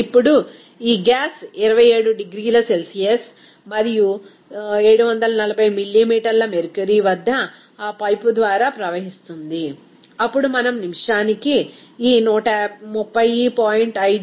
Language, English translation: Telugu, Now, this gas flowing through that pipe at 27 degrees Celsius and 740 millimeter mercury, we can then have this 130